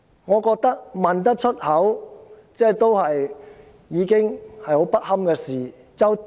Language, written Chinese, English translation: Cantonese, 我覺得提出這個問題已是很不堪的事情。, I considered such a question very inappropriate